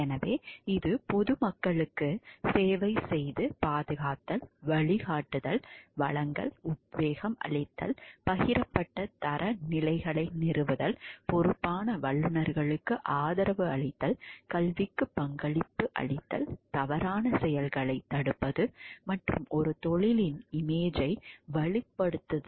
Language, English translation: Tamil, providing guidance, offering inspiration, establishing shared standards, supporting responsible professionals, contributing to education, deterring wrong doing and strengthening a professions image